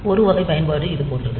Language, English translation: Tamil, So, one type of application is like this